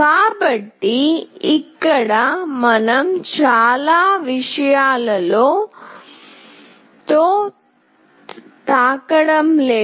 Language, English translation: Telugu, So, here we are not playing around with too many things